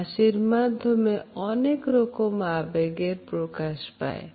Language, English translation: Bengali, A smile is never expressive of a single emotion